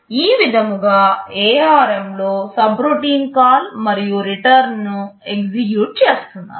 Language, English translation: Telugu, This is how in ARM subroutine call/return can be handled